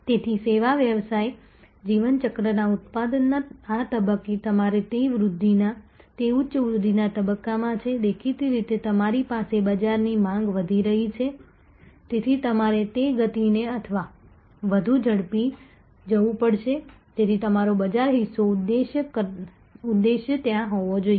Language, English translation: Gujarati, So, at this stage of the product of the service business life cycle your it is in high great growth stage and you are; obviously, you have a the market demand is increasing, so you have to go at that pace or faster, so your market share objective will have to be there